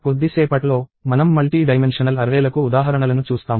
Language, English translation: Telugu, In a little while, we will see examples of multidimensional arrays